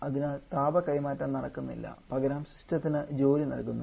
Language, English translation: Malayalam, So, no heat transfer is taking place rather work is being given to the system